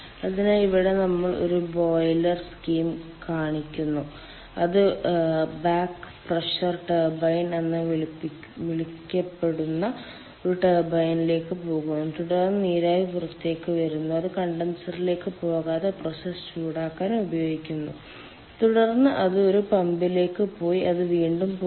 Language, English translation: Malayalam, so here we show a scheme: a boiler, then it goes to a turbine which is called back pressure turbine and then the steam comes out and which is used for process heating ah without going to a condenser, and then it goes to a pump and it again goes back to the boiler